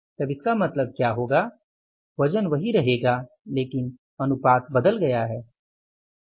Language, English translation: Hindi, So total weight is remaining the same but the proportion has changed